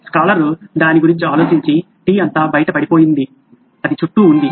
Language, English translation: Telugu, The scholar thought about it and said well the all the tea spilled out, it is all around